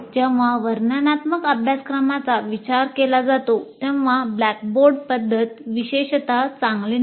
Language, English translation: Marathi, But when it comes to descriptive courses, the blackboard method is not particularly great